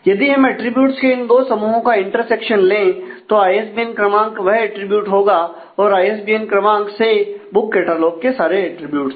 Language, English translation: Hindi, So, if we take the intersection of the two sets of attributes then ISBN number would be the attribute and ISBN number functionally determines all attributes in the book catalogues